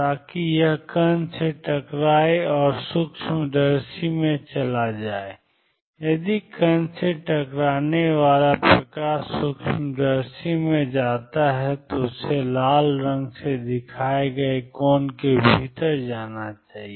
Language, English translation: Hindi, So, that it hits the particle and goes into the microscope if the light hitting the particle goes into microscope it must go within this angle shown by red